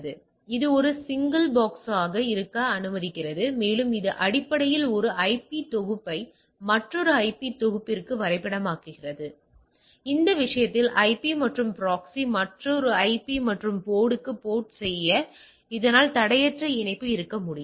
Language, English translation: Tamil, So, the it allows it is sort of a single box and it basically map the one IP set to another IP set, right for that matter IP and proxy to port to another IP an port, so that it can a seamless connection